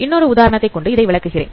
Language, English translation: Tamil, So, let me explain it with respect to an example